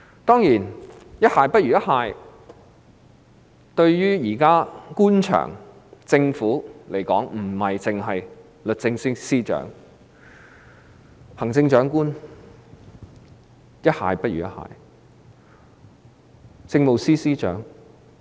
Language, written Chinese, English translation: Cantonese, 當然，不只律政司司長可以比喻為"一蟹不如一蟹"，這個比喻也適用於行政長官和政務司司長。, Of course not only the successive Secretaries for Justice have gone from bad to worse this description can also be applied to the Chief Executive and the Chief Secretary for Administration